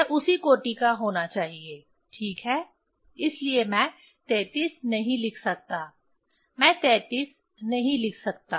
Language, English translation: Hindi, It has to be of same order ok, so that is why it is that I cannot write 33, I cannot write 33